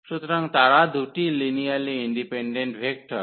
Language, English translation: Bengali, So, they are 2 linearly independent vector